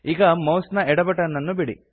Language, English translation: Kannada, And release the left mouse button